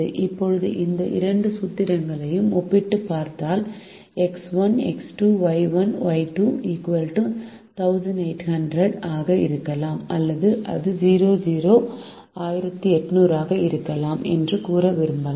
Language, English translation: Tamil, now if we compare this to formulation, we may also wish to say that x one plus x two, y one plus y two could be equal to one thousand eight hundred, or it could be greater than or equal to one thousand eight hundred